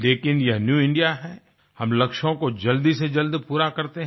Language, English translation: Hindi, But this is New India, where we accomplish goals in the quickest time possible